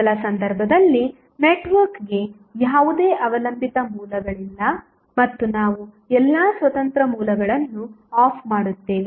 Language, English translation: Kannada, In first case the network has no dependent sources and we turn off all the independent sources turn off means